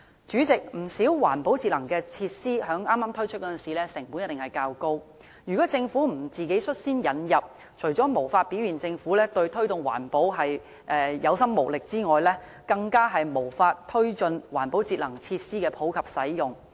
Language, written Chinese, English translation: Cantonese, 主席，不少環保節能設施在剛推出的時候，成本一定較高，如果政府不率先自行引入，除表現出政府對推動環保有心無力之外，更無法推進環保設施的普及使用。, President in many cases environment - friendly and energy - saving facilities are bound to be more costly when they are first rolled out . If the Government does not take the initiative and itself introduce these facilities then apart from exposing its powerlessness in promoting environmental protection it will also fail to promote the popular use of any environment - friendly facilities